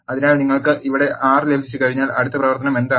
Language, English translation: Malayalam, So, once you have 6 here what is the next operation